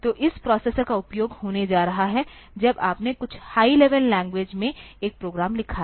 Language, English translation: Hindi, So, this processor is going to be utilized, when you have written a program in some high level language